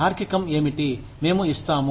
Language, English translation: Telugu, What is the reasoning, we give